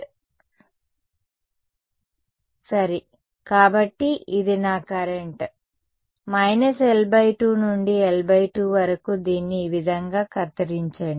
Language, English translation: Telugu, Right discretize right, so this is my current from minus L by 2 to L by 2 chop it up like this right